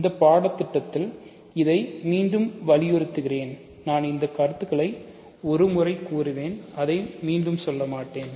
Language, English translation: Tamil, So, in this course again let me emphasize this, I will make this remarks once and I will not say it again